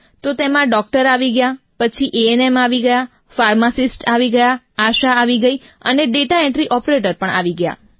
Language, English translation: Gujarati, That comprised a doctor, then the ANM, the pharmacist, the ASHA worker and the data entry operator